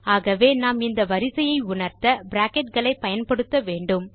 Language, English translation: Tamil, So we have to use Brackets to state the order of operation